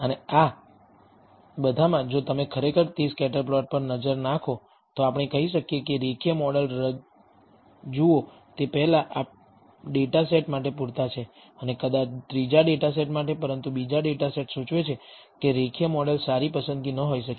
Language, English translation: Gujarati, And in all of these if you actually look at it look at the scatter plot we may say that look a linear model is adequate for the first data set, and perhaps for the third data set, but the second data set indicates that the linear model may not be a good choice